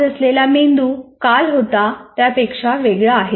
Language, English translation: Marathi, So the brain is today is different from what it was yesterday